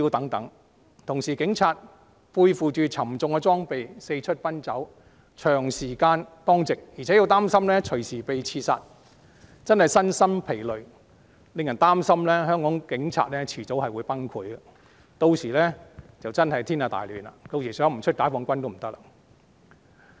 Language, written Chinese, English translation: Cantonese, 與此同時，警察要背負沉重裝備四出奔走，長時間當值，還擔心隨時被刺殺，真的身心疲累，令人擔心香港警察早晚會崩潰，屆時便真的天下大亂，不得不出動解放軍了。, It is tiring both physically and psychologically . It is a cause of concern that police officers of Hong Kong will collapse sooner or later . By then Hong Kong will be thrown into complete chaos making the mobilization of PLA inevitable